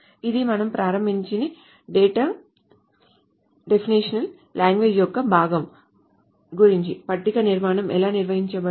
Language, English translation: Telugu, So this is about the part of the data definition language that we started about how the table structure is defined